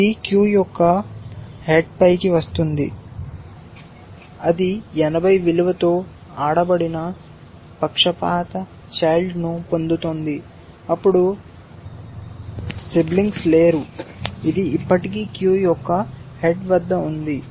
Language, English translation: Telugu, This comes to the head of the queue then, it gets a played biased child with a value of 80 then, there is no more siblings left, this is still at the head of the queue